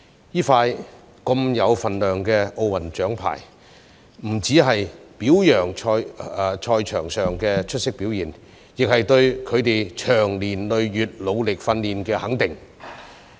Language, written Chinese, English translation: Cantonese, 這些如此有分量的奧運獎牌，不只是表揚他們在賽場上的出色表現，亦是對他們長年累月努力訓練的肯定。, The valuable Olympic medals that our athletes have won are not only a tribute to their outstanding performance on the field but also a recognition of their hard work and training over the years